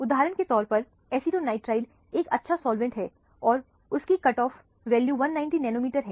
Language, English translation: Hindi, For example, acetonitrile is a good solvent; it has a cut off value of 190 nanometers